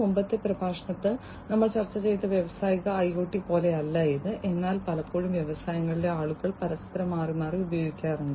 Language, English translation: Malayalam, And it is not exactly like the industrial IoT that we discussed in the previous lecture, but is often commonly used interchangeably by people in the industries